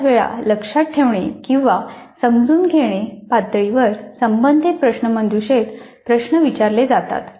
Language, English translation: Marathi, Most of the times the quiz questions belonging to remember or understand level are used